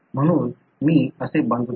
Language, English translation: Marathi, So, I construct